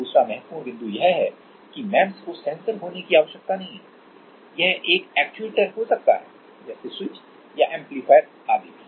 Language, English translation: Hindi, Another important point is that the MEMS need not to be a sensor it can be a actuator also like switch or amplifier etc